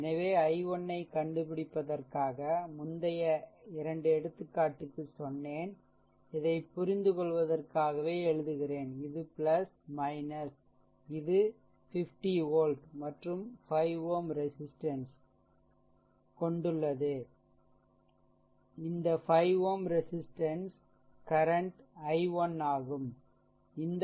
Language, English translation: Tamil, So, just for finding out the i 1, I told you previous 2 example also take this your what you call this separately, I making it for you just for your understanding this is plus minus right, this is 50 volt, right and you have 5 ohm resistance, this 5 ohm resistance current is your i 1